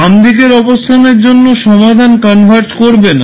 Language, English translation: Bengali, For left side condition the solution will not converge